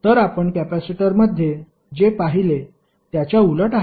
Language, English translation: Marathi, So, opposite to what we saw in the capacitor